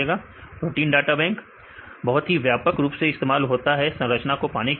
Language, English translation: Hindi, Protein data bank it is widely used database right you can get the structures